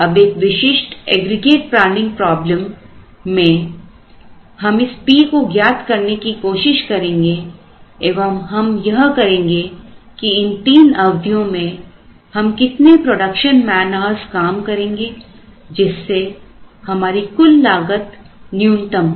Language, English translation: Hindi, Now, in a typical aggregate planning problem, we are now going to find out what is this p how much of production man hours are we going to use in these three periods such that we minimize the total cost